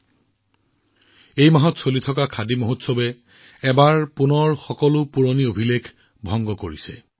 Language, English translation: Assamese, The ongoing Khadi Mahotsav this month has broken all its previous sales records